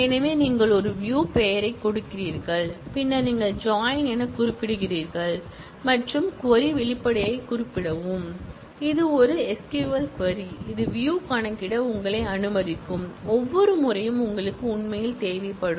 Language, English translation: Tamil, So, you do a create view give a name and then you specify as is the connective and specify the query expression, which is an SQL query, which will let you compute the view, every time you actually need it